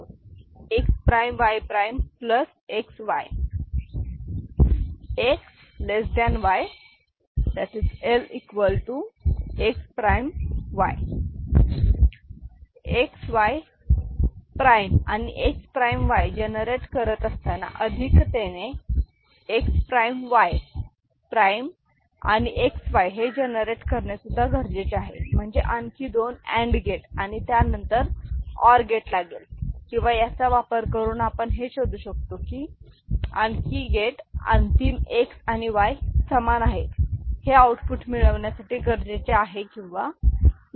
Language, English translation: Marathi, Now, since we are generating XY prime and X prime Y, right do we need to additionally generate X prime Y prime XY, so; that means, two other AND gates and then OR it up, or we can make use of this and see whether you know another you know gate not more than one gate is required to get the final X is equal to Y output generated, ok so, that we can investigate